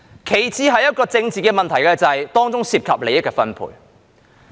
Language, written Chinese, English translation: Cantonese, 其次，這是政治問題，是由於當中涉及利益的分配。, Secondly it is a political issue because distribution of interests is involved